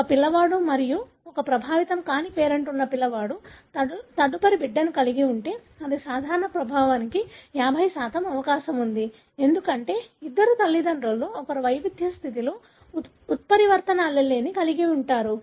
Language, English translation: Telugu, If a child with one affected and one unaffected parent has for the next child it is 50% chance for being affected simple because, of the two parents one is having mutant allele in a heterozygous condition